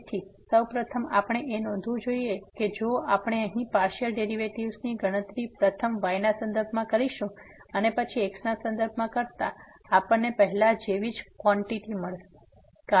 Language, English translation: Gujarati, So, first of all we should note that if we compute the partial derivative here first with respect to , and then with respect to we will get the same quantity as before